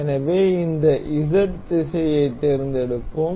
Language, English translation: Tamil, So, let us select this Z direction